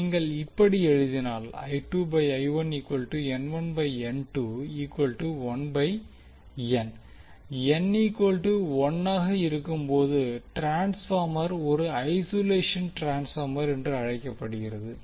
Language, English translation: Tamil, So when N is equal to one, we say transformer is called as a isolation transformer